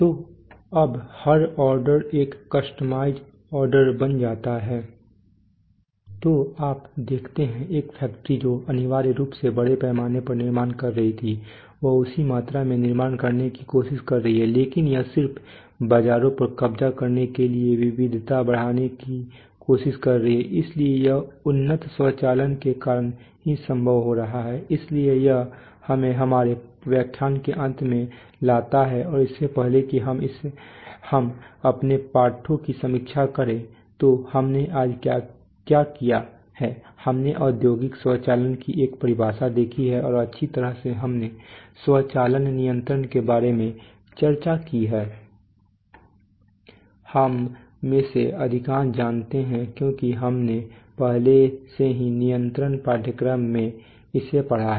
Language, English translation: Hindi, So every order now becomes a customized order so you see, a factory which was essentially mass manufacturing has it is trying to manufacture the same volume but it is trying to increase the variety just to capture markets, so and this is being made possible by very advanced automation, so this brings us to the end of our lecture and before we end let us review our lessons, so what have we done today, we have seen a definition of industrial automation and well we have discussed about automation control, We most of us know because we have already had a course in control actually got, control is actually a part of automation and actually talks about only the day to day I mean minute to minute operation giving input getting output that is called control while automation is much larger in scope both geographically and over time and over functionality so we have seen that definition